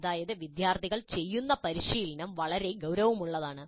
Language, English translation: Malayalam, That means the practice in which the students engage is quite substantial